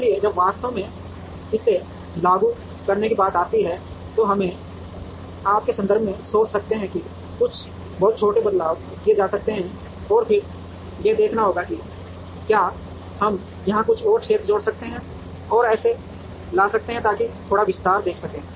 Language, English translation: Hindi, So, when it comes to actually implementing it we could think in terms of you know making some very small changes, and then checking out whether can we add some more area here and bring it, so that we can expand see a little bit